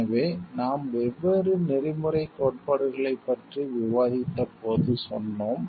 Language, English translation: Tamil, So, as we told you when you have discussed ethic different ethical theories